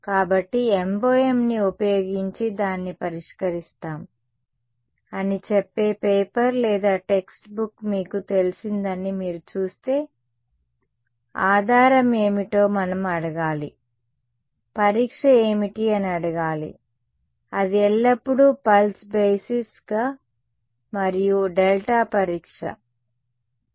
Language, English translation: Telugu, So, if you see you know a paper or text book saying we solve it using MoM, we should ask what was the basis, what was the testing it is not necessary that is always pulse basis and delta test ok